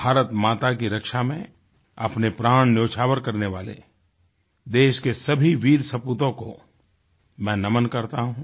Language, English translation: Hindi, I respectfully bow to all the brave sons of the country, who laid down their lives, protecting the honour of their motherland, India